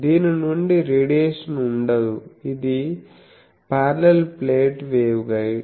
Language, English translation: Telugu, So, it is there is no radiation from this, this is a parallel plate waveguide